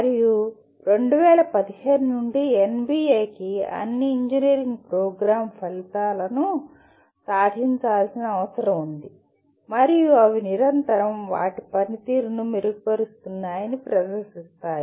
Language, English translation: Telugu, And NBA since 2015 requires all engineering programs attain the program outcomes and demonstrate they are continuously improving their performance